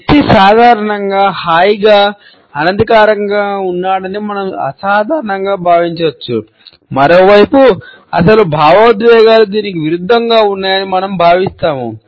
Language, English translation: Telugu, We normally may feel that the person is looking as a relaxed open an informal one, on the other hand we feel that the actual emotions are just the opposite